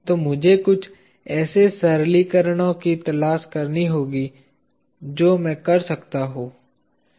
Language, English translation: Hindi, So, let me look for certain simplifications that I can do